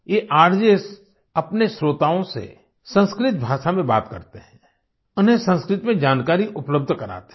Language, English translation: Hindi, These RJs talk to their listeners in Sanskrit language, providing them with information in Sanskrit